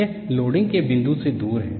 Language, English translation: Hindi, This is away from the point of loading